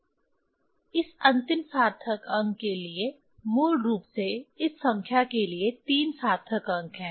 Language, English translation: Hindi, For this last significant figure, so the basically it is a significant figure for this number is 3